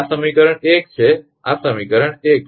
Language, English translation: Gujarati, This is equation 1 this is equation 1